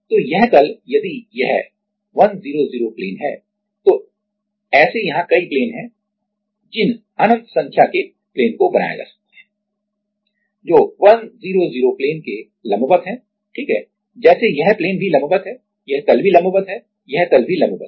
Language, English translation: Hindi, So, this plane if it is 100 plane then there are multiple planes we can draw like infinite number of planes which are perpendicular to the 100 plane right like this plane is also perpendicular, this plane is also perpendicular, this plane is also perpendicular